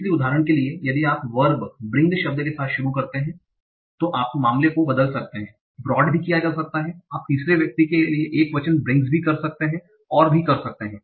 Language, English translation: Hindi, So for example, if you start with the word, verb, bring, you can alter the case, you can have brought, you can have third person singular brings, and so on